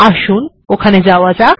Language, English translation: Bengali, Lets just go there